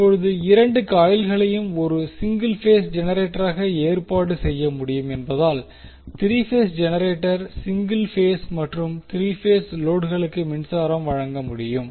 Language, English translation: Tamil, Now since both coils can be arranged as a single phase generator by itself, the 3 phase generator can supply power to both single phase and 3 phase loads